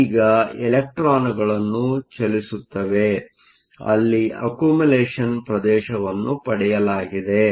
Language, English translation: Kannada, Now, you have electrons moving in so, that you have an accumulation region